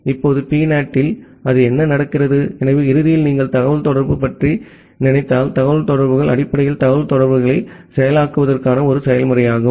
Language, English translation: Tamil, Now, in PNAT what happens that one, so ultimately if you think about the communication the communications are basically a process to process communication